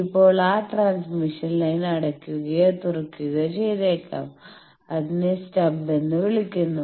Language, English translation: Malayalam, Now, that transmission line may be shorted or opened that are called stub